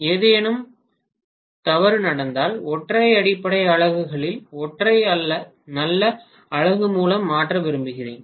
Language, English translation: Tamil, If something goes wrong I would like to replace maybe one of the single base units by a good unit